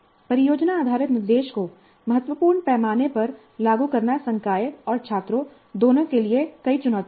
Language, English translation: Hindi, Implementing project based instruction on a significant scale has many challenges, both for faculty and students